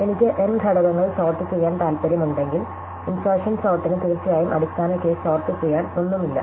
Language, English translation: Malayalam, So, if I want to sort n elements, then the way insertion sort does is that of course, if there is nothing to sort in the base case, then we have done